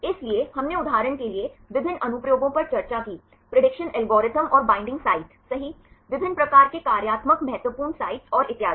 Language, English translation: Hindi, So, we discussed various applications for example, the prediction algorithms and the binding sites right different types of functional important sites and so on